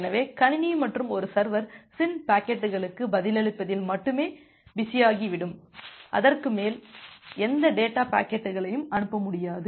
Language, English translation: Tamil, So, the computer and a server will only become busy to response to the SYN packets, it will not be able to send any data packets any further